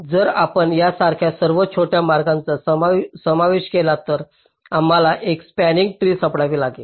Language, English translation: Marathi, so if you include all the shortest path, like this: already we have found out a spanning tree